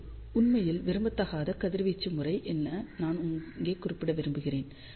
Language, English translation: Tamil, I just want to mention over here, this was the desired radiation pattern this is totally undesired radiation pattern